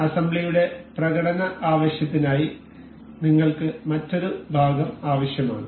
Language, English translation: Malayalam, For the demonstration purpose of assembly we need another part